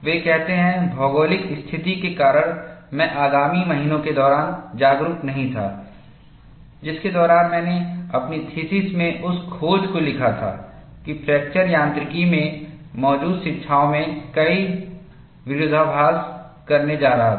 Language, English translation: Hindi, He says, because of the geographic location, I was not aware, during the ensuing months, during which I wrote up the discovery into my thesis, that I was going to contradict many of the existing teachings in fracture mechanics